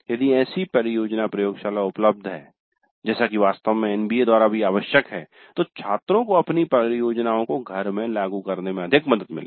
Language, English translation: Hindi, If such a project laboratory is available as in fact is required by the NBA also, then the students would find it much more helpful to implement their projects in house